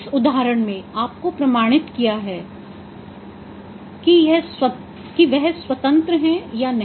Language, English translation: Hindi, In this case you have to establish that whether they are independent or not